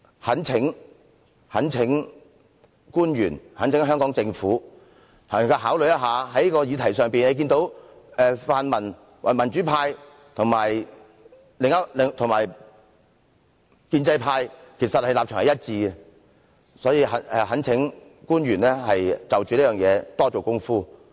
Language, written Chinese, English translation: Cantonese, 我懇請官員和香港政府作出考慮，在這個議題上，民主派和建制派的立場其實是一致的，所以我懇請官員就這問題多下工夫。, I implore officials and the Hong Kong Government to take this into consideration . On this issue the pro - democracy camp and the pro - establishment camp actually hold the same position . Therefore I implore officials to put in more efforts to address the problem